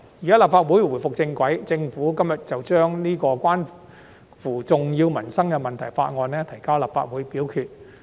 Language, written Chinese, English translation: Cantonese, 現在立法會重回正軌，政府今天便把這項關乎重要民生問題的《條例草案》提交立法會表決。, Now that the Legislative Council is back on track the Government tabled this Bill on major livelihood issues for voting in the Legislative Council today